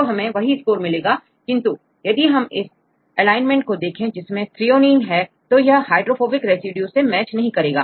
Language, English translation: Hindi, So, then we will get the same score, but if you look into this alignment sometimes if we have the threonine it won’t match with the hydrophobic residues